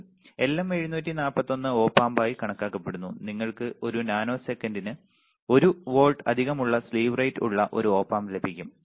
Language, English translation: Malayalam, Again LM741 is considered as low Op amp you can get an Op amp with a slew rate excess of 1 volts per nanosecond all right